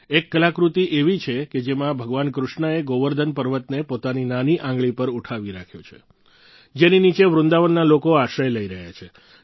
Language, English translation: Gujarati, There is an artifact as well, that displays the Govardhan Parvat, held aloft by Bhagwan Shrikrishna on his little finger, with people of Vrindavan taking refuge beneath